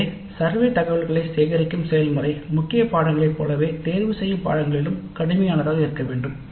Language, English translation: Tamil, So the process of collecting survey data must remain as rigorous with elective courses as with core courses